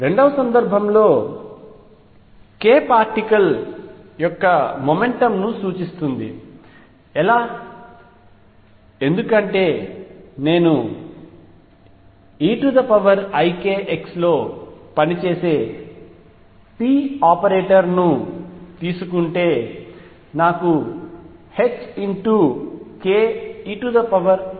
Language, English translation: Telugu, In the second case k represents the momentum of the particle, how so; because if I take p operator operating on e raise to i k x I get h cross k e raise to i k x